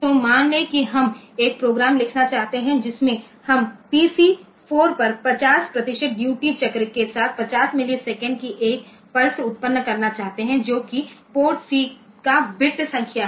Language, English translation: Hindi, So, suppose we want to write a program in which we want to generate a pulse of 50 millisecond with 50 percent duty cycle on PC 4 that is port C bit number